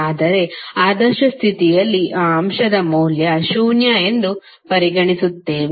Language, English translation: Kannada, But under ideal condition we assume that the value of that element is zero